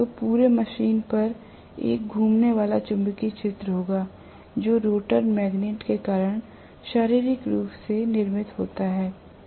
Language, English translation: Hindi, So, on the whole the machine will have a revolving magnetic field physically created it because of the rotor magnets